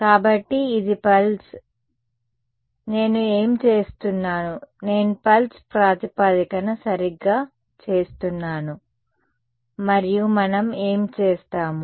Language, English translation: Telugu, So, this is a pulse right, so, what I am doing I am doing pulse basis right and then what do we do